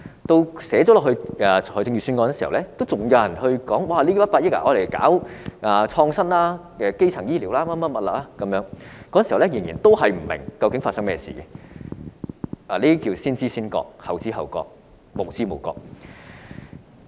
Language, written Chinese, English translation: Cantonese, 即使預算案提出這項建議，仍然有人說不如用這100億元搞創新或基層醫療等，那時候他們仍然不明白該基金有何用，這便是先知先覺，後知後覺，無知無覺。, Even though this proposal had been raised in the Budget some people still considered it more desirable to spend this sum of 10 billion on innovation or primary health care etc . They still failed to understand the use of such a fund at that time . This tells us who have the foresight and who show belated awareness or even no awareness